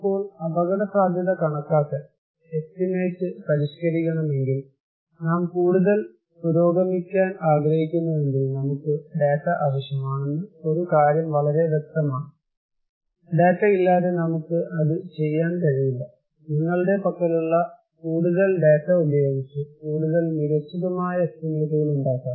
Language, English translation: Malayalam, Now, risk estimation progress; if we want to progress more if you want to refine our estimation, one thing is very clear that we need data, without data we cannot do it so, more data where you have, the more fine tuned, more cutting edge estimations we can make